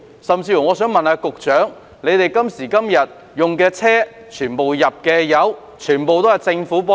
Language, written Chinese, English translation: Cantonese, 更甚的是，官員今時今日使用的車輛，汽油費用全部由公帑支付。, What is more the expenses on petrol for the vehicles currently used by officials are all met by public money